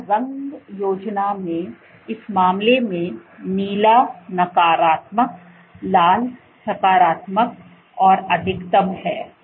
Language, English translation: Hindi, So, in this case in this colour scheme, blue is negative red is positive and max